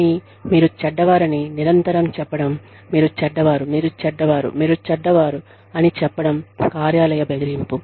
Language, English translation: Telugu, But, constantly telling you that, you are bad, you are bad, you are bad, you are bad, is workplace bullying